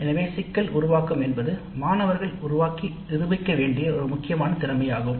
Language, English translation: Tamil, So the problem formulation is an important skill that the students must develop and demonstrate